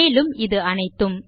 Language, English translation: Tamil, and all of this